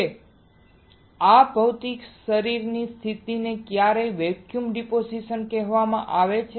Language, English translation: Gujarati, Now this physical body position are sometimes called vacuum deposition